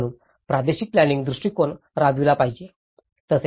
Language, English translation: Marathi, So, that is where a regional planning approach should be implemented